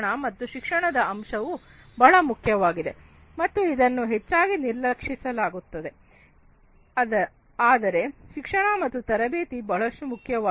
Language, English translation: Kannada, So, education component is very important and is often neglected, but education and training is very important